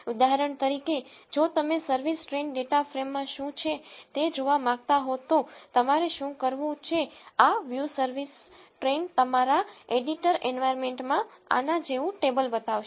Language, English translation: Gujarati, For example, if you want to see what is there in the service train data frame, what you have to do is this view service train will show a table like this in your editor environment